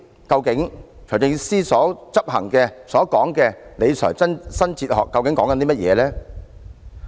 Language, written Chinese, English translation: Cantonese, 究竟財政司司長所執行的所謂理財新哲學是指甚麼？, What exactly is the new fiscal philosophy that the Financial Secretary is implementing?